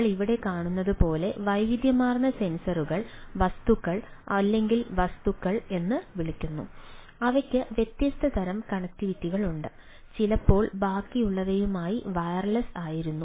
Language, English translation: Malayalam, like we see here, there is a variety of sensors, ah, right, ah, variety of so called objects or things and they are ah having different sort of connectivity, sometimes where or mostly wireless, with these rest of the things, right